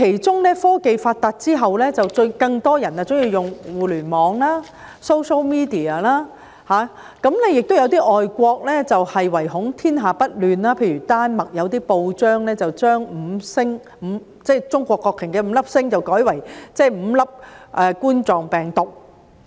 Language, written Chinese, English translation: Cantonese, 在科技發達之後，更多人喜歡使用互聯網、social media， 亦有些國家唯恐天下不亂，例如有些丹麥報章把中國國旗的五粒星改為五粒冠狀病毒。, As technology advances more people are making use of the Internet and social media to do so . And there are some countries which are motivated by a desire to see the world in chaos for example a newspaper in Denmark has changed the five stars of the Chinese flag to five coronaviruses